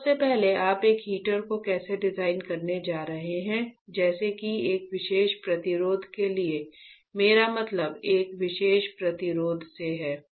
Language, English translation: Hindi, So, I first of all how you are going to design a heater such the for a particular resistance what I mean by a particular resistance